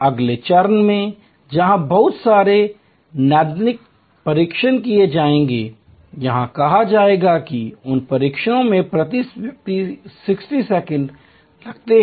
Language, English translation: Hindi, In the next step where lot of diagnostic tests will be done say that those tests takes 60 seconds per person